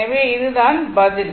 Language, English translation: Tamil, So, this is answer